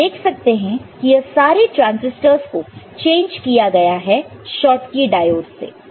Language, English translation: Hindi, So, you see this, transistors are changed by Schottky diode, ok